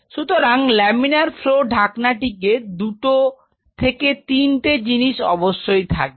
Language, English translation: Bengali, So, laminar flow hood will be equipped with 2 3 things or So